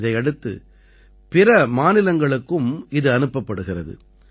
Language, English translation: Tamil, After this it is also sent to other states